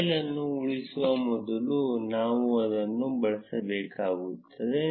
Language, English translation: Kannada, Before saving the file, there is we need to change this